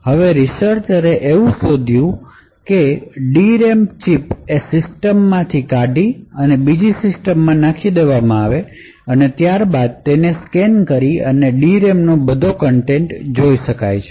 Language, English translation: Gujarati, So, what researchers have been able to do is to actually pick a D RAM chip from a system plug it into another system and then scan that particular D RAM and read all the contents of that D RAM